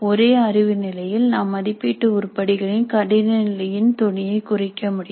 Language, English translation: Tamil, At the same cognitive level we can tone down the difficulty of the assessment item